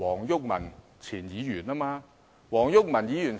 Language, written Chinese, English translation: Cantonese, 是前議員黃毓民。, It is Mr WONG Yuk - man a former Member